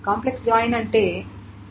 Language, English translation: Telugu, So what is the complex joint